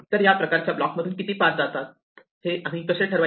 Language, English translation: Marathi, So, how do we determine how many paths survived this kind of block